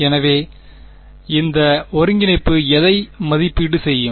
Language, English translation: Tamil, So, what will this integral evaluate to